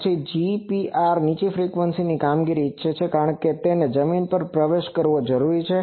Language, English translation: Gujarati, Then also GPR wants low frequency operation, because it needs to penetrate the ground